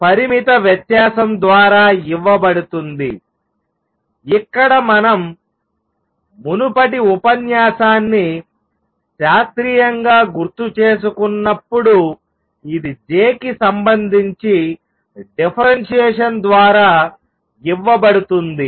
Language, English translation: Telugu, This is given by finite difference, right where as we recall the previous lecture in classically, it is given by a differentiation with respect to j